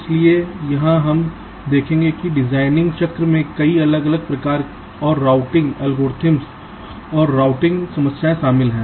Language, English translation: Hindi, so here we shall see that there are many different kinds and types of routing algorithms and routing problems involved in the design cycle